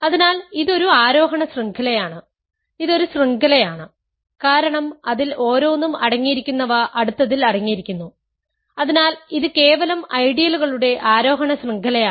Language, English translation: Malayalam, So, it is an ascending chain, it is a chain because each contains in it is each is contained in the next one so that is simply an ascending chain of ideals